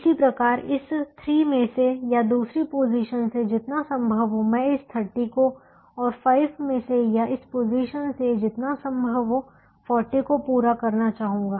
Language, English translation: Hindi, similarly, as much of this thirty i would like to meet from this three or the second position and as much of this forty from five or from this position